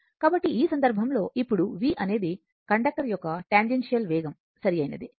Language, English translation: Telugu, So, just hold on, so in this case, now v is the tangential velocity of the conductor, right